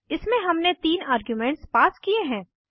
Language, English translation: Hindi, In this we have passed three arguments